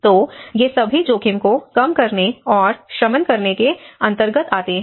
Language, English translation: Hindi, So, these are all comes under risk reduction and mitigation